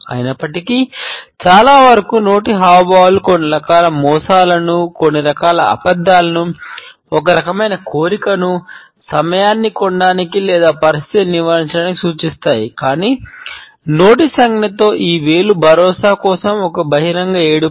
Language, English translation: Telugu, Even though, most hand to mouth gestures indicate some type of a deception, some type of a lying, some type of a desire, to buy time or to avoid the situation, but this finger in mouth gesture is an open cry for reassurance